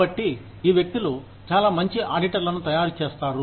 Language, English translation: Telugu, So, these people make, very good auditors, for example